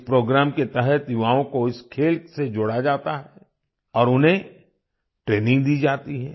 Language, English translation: Hindi, Under this program, youth are connected with this game and they are given training